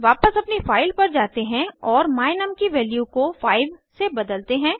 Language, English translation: Hindi, Lets go back to our file and change the value of my num to 5